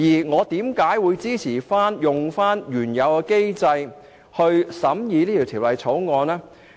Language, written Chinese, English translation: Cantonese, 我為何支持按原有安排審議本《條例草案》呢？, Why do I support examining the Bill according to the original arrangements?